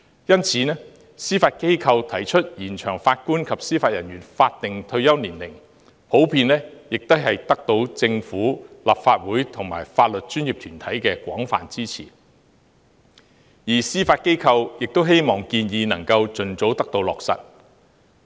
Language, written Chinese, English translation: Cantonese, 因此，司法機構提出延長法官及司法人員法定退休年齡，獲得政府、立法會和法律專業團體的廣泛支持，而司法機構也希望有關建議能夠盡早落實。, Therefore the Judiciarys recommendation to extend the statutory retirement age of JJOs has received widespread support from the Government the Legislative Council and the legal profession and the Judiciary hoped that the recommendation could be implemented as soon as possible